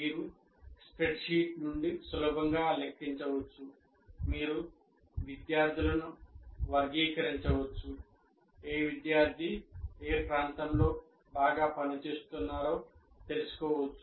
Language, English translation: Telugu, If you put in a spreadsheet and you can easily compute all aspects of all kinds of things, you can classify students, you can find out which student is performing in what area well and so on